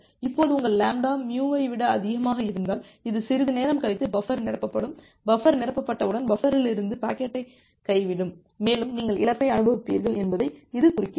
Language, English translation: Tamil, Now if your lambda is more than mu, this indicates that after some time the buffer will get filled up and once the buffer will get filled up there will be packet drop from the buffer and you will experience a loss